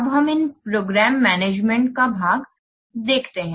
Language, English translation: Hindi, Now let's see about this program management part